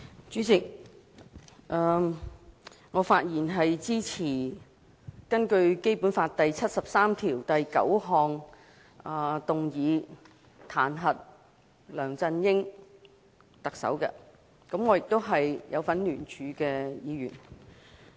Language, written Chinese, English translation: Cantonese, 主席，我發言支持根據《基本法》第七十三條第九項動議彈劾特首梁振英，我亦是參與聯署的議員。, President I am speaking in support of the motion to impeach the Chief Executive LEUNG Chun - ying according to Article 739 of the Basic Law . I am also one of the signatories to initiate the motion